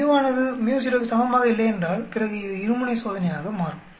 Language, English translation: Tamil, If µ is not equal to µ0then it becomes a two tailed test